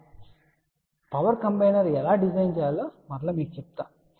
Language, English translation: Telugu, So, we will tell you later on how to design power combiner